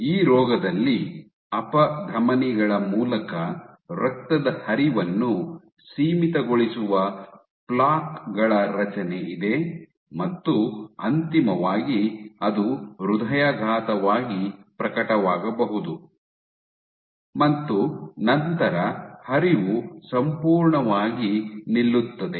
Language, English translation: Kannada, And so, in this disease you have build up of plaques which limit blood flow through the arteries and eventually might manifested itself as a heart attack and flow is completely stopped